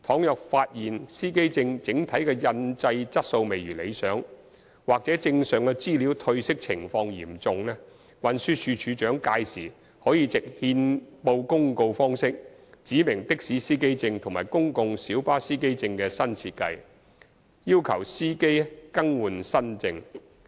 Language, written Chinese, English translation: Cantonese, 如發現司機證整體的印製質素未如理想或證上資料褪色情況嚴重，運輸署署長屆時可藉憲報公告方式指明的士司機證和公共小巴司機證的新設計，要求司機更換新證。, If it is found that the overall production quality of the plates is unsatisfactory or the problem of fading of the information on the plates is serious the Commissioner for Transport may then specify by notice in the Gazette a new design for taxi and PLB driver identity plates and require the drivers to renew the plates